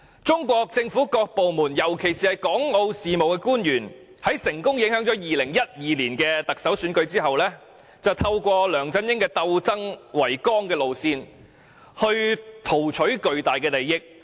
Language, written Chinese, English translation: Cantonese, 中國政府各部門，尤其是港澳事務官員，在成功影響2012年特首選舉後，便透過梁振英以鬥爭為綱的路線，圖取巨大利益。, After the successful intervention in the 2012 Chief Executive Election by various departments of the Chinese Government especially officials responsible for Hong Kong and Macao affairs they then sought to reap huge benefits through LEUNG Chun - yings guiding principle of struggle